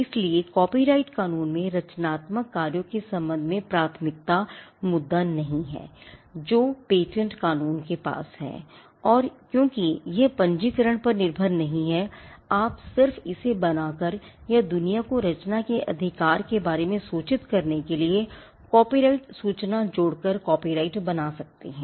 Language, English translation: Hindi, So, copyright law does not have the issue of priority with regard to creative works which patent law has and because it is not dependent on registration you can just create a copyright by just creating it or by adding a copyright notice to it to inform the world about the creation of the right it is again not hit by the issues of registration which patent law has